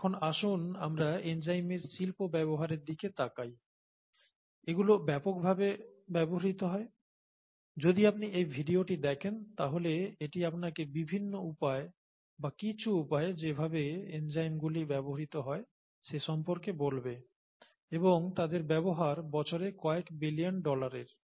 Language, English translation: Bengali, Now let us look at the industrial uses of enzymes, they are very widely used, f you look at this video, it’ll tell you the various ways or some of the ways in which enzymes are used and their usage is billions of dollars per year kind of level